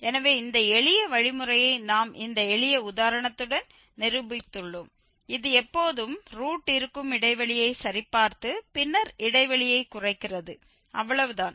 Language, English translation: Tamil, So, this a simple algorithm which we can, which we have demonstrated with this simple example and it is always just checking the interval where the root lies and then narrowing down the interval and that is all